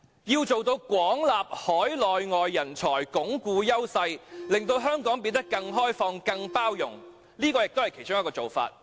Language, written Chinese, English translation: Cantonese, 要做到"廣納海內外人才"、"鞏固優勢"，以及"令香港變得更開放及更有包容性"，這是其中一個做法。, To truly extensively recruit overseas and local talents secure our competitive edges and make Hong Kong more open and tolerant this is one of the ways